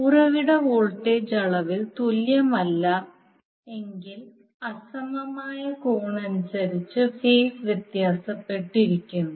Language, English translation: Malayalam, The source voltage are not equal in magnitude and or differ in phase by angle that are unequal